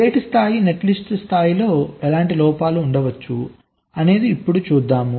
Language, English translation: Telugu, so at the level of gate level netlist, what kind of faults can be there